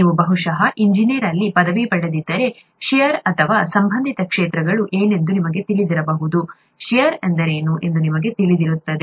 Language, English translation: Kannada, If you have done, probably a degree in engineering, you would know what shear is or related fields, you would know what shear is